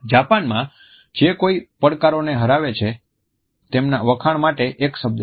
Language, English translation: Gujarati, In Japan there is a word for someone who is worthy of praise overcoming a challenge